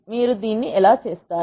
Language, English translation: Telugu, How do you do this